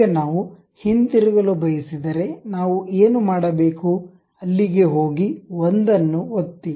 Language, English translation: Kannada, Now, if we want to go back, what we have to do, go there click the single one